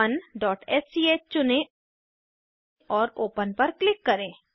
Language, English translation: Hindi, Select project1.sch and click Open